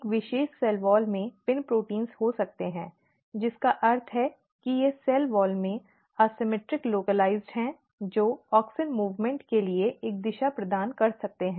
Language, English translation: Hindi, So, one particular cell wall may have the PIN proteins, which means that they are asymmetric localization in the cell wall can provide a direction for auxin movement